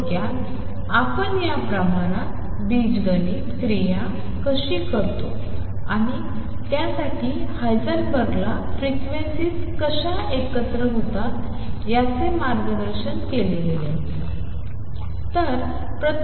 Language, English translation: Marathi, In short how do we perform algebraic operations on these quantities and for that Heisenberg was guided by how frequencies combine